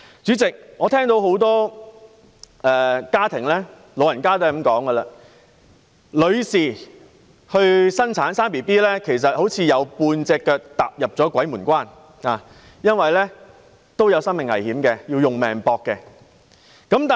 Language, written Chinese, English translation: Cantonese, 主席，多個家庭和長者皆說道，女性生育，便仿如"有半隻腳踏入鬼門關"般，因為她們會有生命危險，可謂以性命相博。, President many families and elderly people describe those women who decide to give birth as having a leg cross the threshold of death because their lives may be in danger and it can be said that they are risking their lives in so doing